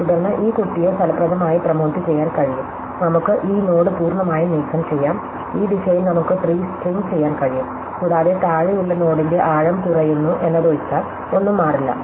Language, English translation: Malayalam, Then, this child can effectively will be promoted, we can remove this node completely and we can shrink the tree along this direction a nothing will change, except that the depth of the node is below become less